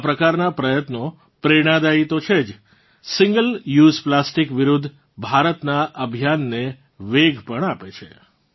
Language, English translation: Gujarati, Such efforts are not only inspiring, but also lend momentum to India's campaign against single use plastic